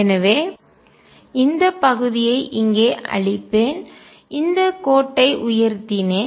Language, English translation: Tamil, So, I will erase this portion here, raised this line up